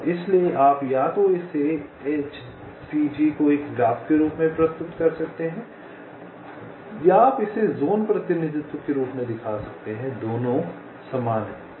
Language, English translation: Hindi, so you can either represent it, the h c g, as a graph or you can show it as a zone representation